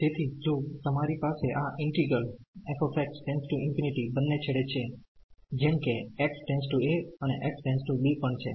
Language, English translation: Gujarati, So, if you have this integral f x goes to infinity at both the ends like x goes to a and also x goes to b